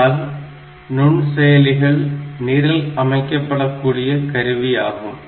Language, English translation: Tamil, So, microprocessors on the other hand, they are programmable device